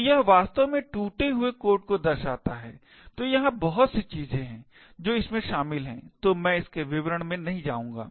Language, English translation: Hindi, So, this actually shows the broken code, so there are a lot of things which are involved so I will not go into the details of it